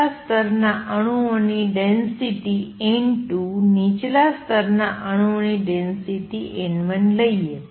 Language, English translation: Gujarati, Let the density of atoms in the upper level be n 2, density of atoms in the lower level be n 1